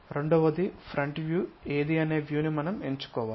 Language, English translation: Telugu, Second, we have to pick the views which one is front view